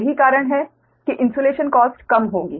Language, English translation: Hindi, thats why insulation cost will be less